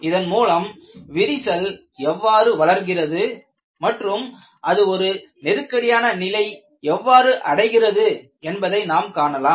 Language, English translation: Tamil, You are able to predict how the crack will grow and when does it become critical